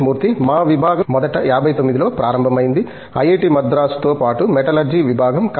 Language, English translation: Telugu, Our department originally started in 59, along with the IIT, Madras as the Department of Metallurgy